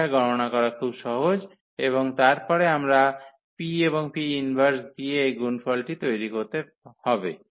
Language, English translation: Bengali, So, that is very simple to compute and then finally, we need to make this product with the P and the P inverse